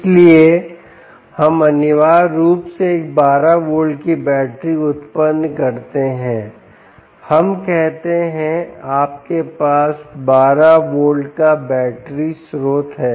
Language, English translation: Hindi, lets say you have a twelve volt battery source